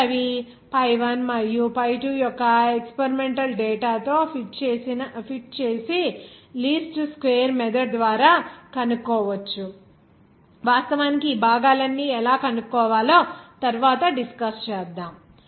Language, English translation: Telugu, Then you fit that experimental data of pi1 and pi2and then find out by least square method to me actually discussing how to find out that all these components letter on